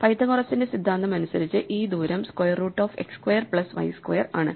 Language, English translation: Malayalam, This distance by Pythagoras' theorem is nothing but the square root of x square plus y square